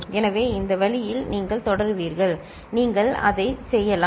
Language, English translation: Tamil, So, this way you will continue, you can work it out